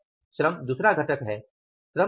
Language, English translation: Hindi, Second component is the labor